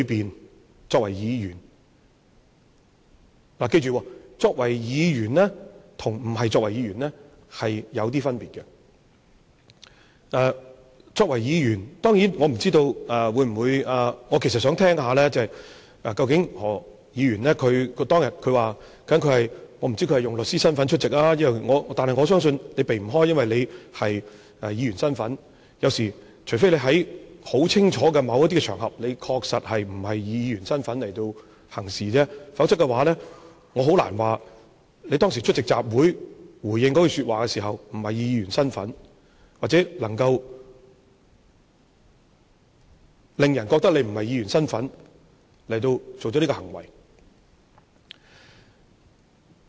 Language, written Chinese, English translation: Cantonese, 他作為議員，大家要記着，作為議員跟不是作為議員有些分別，作為議員，當然，我其實是想聽聽何議員說，他當天究竟是以律師身份出席還是甚麼，但我相信他不能避開，因為他是議員，除非他在很清楚的某一些場合確實不是以議員身份行事，否則我很難說，他當時出席集會回應那句說話時，不是以議員身份去做，或者能夠令人覺得他不是以議員身份作出這行為。, Yet I believe he cannot evade his identity of a legislator since he is one of them . Unless he is categorically acting beyond the capacity of a legislator on some particular occasions otherwise I find it very hard to say that he was not acting as a member of the legislature when he made that remark at the rally . Neither can he make people feel that he was not acting this way in the capacity of a legislator